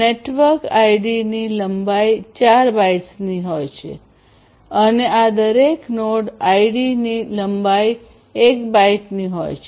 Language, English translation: Gujarati, The network ID is of length 4 bytes and node ID each of these node IDs will have a length of 1 byte